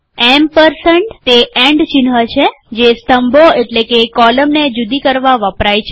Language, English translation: Gujarati, The ampersand, that is the and symbol, is used to separate the columns